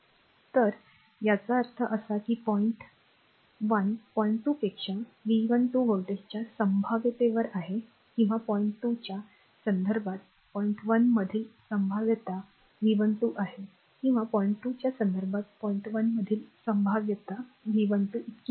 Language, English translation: Marathi, So; that means, point 1 is at a potential of V 12 volts higher than point 2 or the potential at point 1 with respect to point 2 is V 12 or the potential at point 1 with respect to point 2 is V 12 second one easy at to remember right